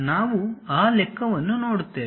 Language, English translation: Kannada, We will see that calculation